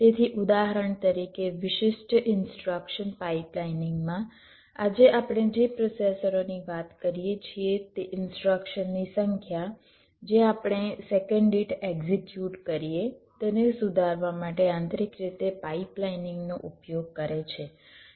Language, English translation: Gujarati, so all the processors that we talk about today, they use pipelining internally to to improve the number of instructions that we executed per second